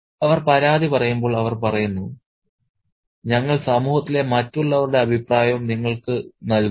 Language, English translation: Malayalam, And when they make the complaint, they say that we are kind of giving you the opinion of the others in society as well